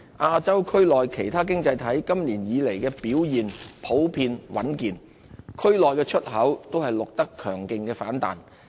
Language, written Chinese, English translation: Cantonese, 亞洲區內其他經濟體今年以來的表現普遍穩健，區內出口均錄得強勁反彈。, For other economies in Asia their economic performance is generally solid in this year . As part of a region - wide phenomenon a strong rebound was observed in exports